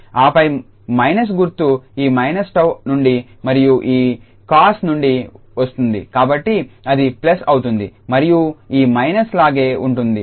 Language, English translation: Telugu, And then we have because the minus will be coming from this minus tau and the one from the this cos, so it will be plus and this will remain minus as it is